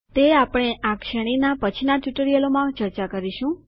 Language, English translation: Gujarati, We will discuss it in the later tutorials of this series